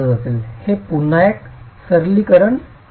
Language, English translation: Marathi, So, this is again a simplification